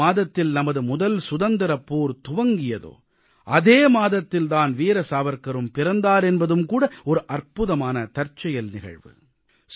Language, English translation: Tamil, It is also an amazing coincidence that the month which witnessed the First Struggle for Independence was the month in which Veer Savarkar ji was born